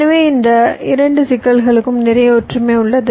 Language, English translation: Tamil, so there is a very similarity between these two problems